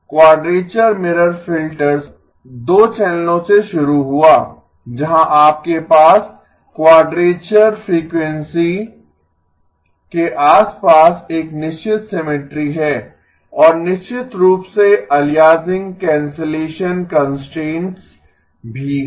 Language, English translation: Hindi, Quadrature mirror filters started from 2 channels where you have a certain symmetry around the quadrature frequency and of course the aliasing cancellation constraint as well